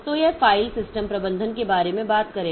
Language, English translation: Hindi, So, this will be talking about the file system management